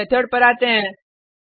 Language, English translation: Hindi, Let us come to this method